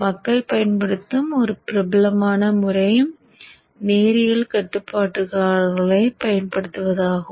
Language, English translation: Tamil, So one very popular method which people use is to use linear regulators